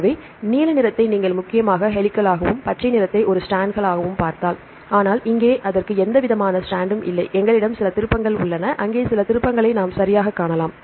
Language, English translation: Tamil, So, if you see the blue once they are mainly helices right and the green one strands, but here it does not have any strand and we have some turns here and there we can see some turns right